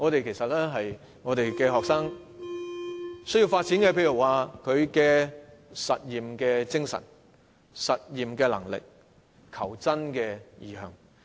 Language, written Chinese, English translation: Cantonese, 其實學生要發展的是實驗精神、實驗能力和求真精神等。, Actually what students need to develop is their disposition to experiment their abilities to experiment and the spirit to seek the truth